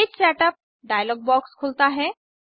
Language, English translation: Hindi, The Page Setup dialog box opens